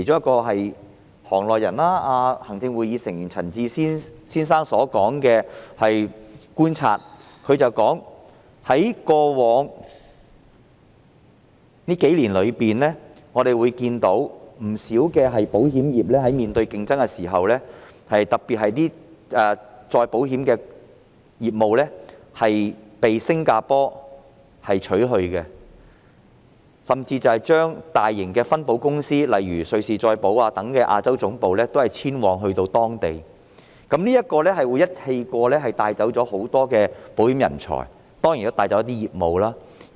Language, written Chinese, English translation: Cantonese, 據行內人士兼行政會議成員陳智思先生觀察所得，在過去數年間，不少保險公司面對劇烈競爭，特別是一些再保險的業務被新加坡取去，甚至大型的分保公司，例如瑞士再保險公司等的亞洲總部都遷往新加坡，這樣會在同一時間帶走很多保險人才，當然亦會帶走一些保險業務。, According to the observation of Mr Bernard CHAN a member of the insurance industry and a Member of the Executive Council many insurance companies have to face intense competition over the past few years . In particular some of our reinsurance business has been taken over by Singapore . Some large reinsurance companies eg